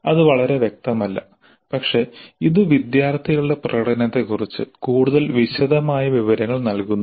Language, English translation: Malayalam, That is not very clear but it does give more detailed information about the performance of the students